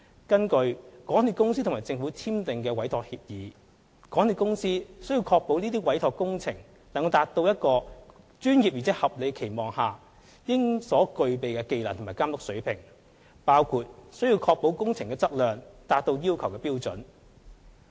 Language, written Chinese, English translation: Cantonese, 根據港鐵公司與政府簽訂的委託協議，港鐵公司須確保這些委託工作能達至一個專業而在合理的期望下應所具備的技能和監督水平，包括須確保工程質量達到要求的標準。, According to the Entrustment Agreement signed between MTRCL and the Government MTRCL warrants that the Entrustment Activities shall be carried out with the skill and care reasonably to be expected of a professional including the assurance of quality of works up to the standards required